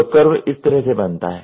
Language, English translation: Hindi, So, the curve goes like this